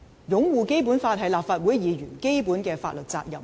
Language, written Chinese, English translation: Cantonese, 擁護《基本法》是立法會議員的基本法律責任。, Upholding the Basic Law is a basic legal duty of a legislator